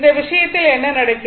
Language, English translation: Tamil, So, in this case what is happening